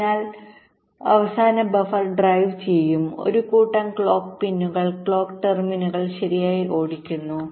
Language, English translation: Malayalam, so the last buffer will be driving, driving a set of clock pins, clock terminals